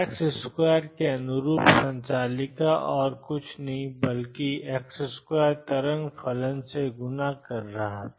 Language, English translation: Hindi, Operator corresponding to x square was nothing but x square multiplying the wave function